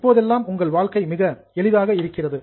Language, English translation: Tamil, Nowadays your life is very simple